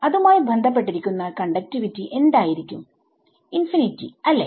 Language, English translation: Malayalam, So, that is a what conductivity will be associate with it infinity right